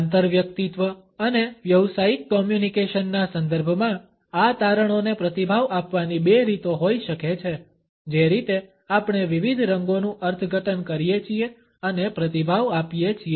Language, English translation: Gujarati, In the context of interpersonal and business communication, there may be two ways of responding to these findings associated with how we interpret and respond to different colors